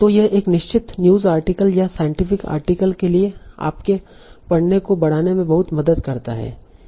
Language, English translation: Hindi, So that helps a lot in enhancing your reading for a certain news article or scientific article